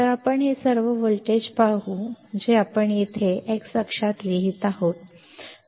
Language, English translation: Marathi, So, you see these all the voltage we are writing here in the x axis